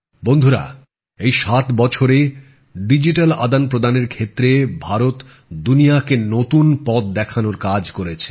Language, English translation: Bengali, Friends, in these 7 years, India has worked to show the world a new direction in digital transactions